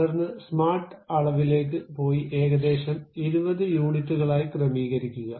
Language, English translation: Malayalam, Then go to smart dimension, adjust it to some 20 units